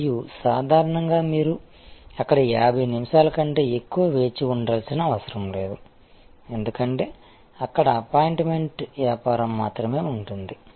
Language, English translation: Telugu, And usually you do not have to wait more than 50 minutes there, because there only operate on the business of appointment